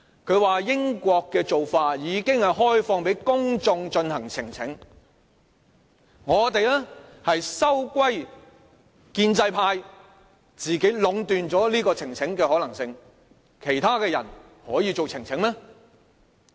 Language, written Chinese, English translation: Cantonese, 他說英國的做法是已開放給公眾進行呈請，我們則收歸建制派自己壟斷呈請的可能性，其他的人可以提出呈請嗎？, He says that the United Kingdom has adopted the practice of allowing members of the public to present petitions . But in our case now the pro - establishment camp instead seeks to concentrate all power and possibility of presenting a petition to itself . Can others present a petition in that case?